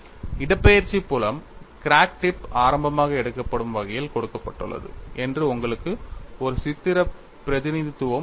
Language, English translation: Tamil, And you have a pictorial representation that the displacement field is given in such a manner that crack tip is taken as origin